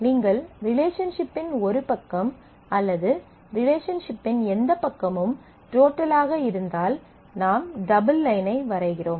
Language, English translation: Tamil, If you if one side of the relationship, or whichever side of the relationship is total, then we draw a double line